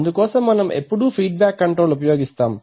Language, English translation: Telugu, So for that we always use feedback control